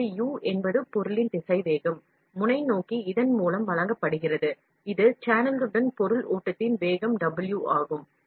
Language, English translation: Tamil, The velocity of the material U, towards the nozzle is therefore, given by this and this is the velocity W of the material flow along the channel it is this way